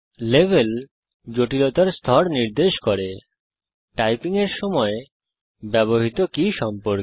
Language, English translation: Bengali, Level indicates the level of complexity, in terms of the number of keys used when typing